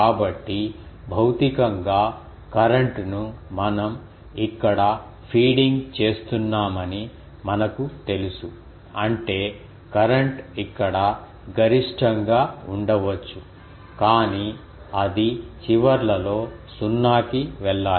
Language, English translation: Telugu, So, we know that physically the current actually we are feeding here; that means, the current may be maximum here, but it should go to 0 at the ends